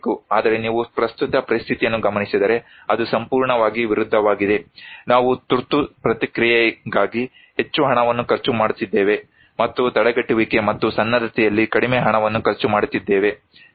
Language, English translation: Kannada, But if you look into the current situation, it is totally opposite, we are spending more money in emergency response and very less money in prevention and preparedness, right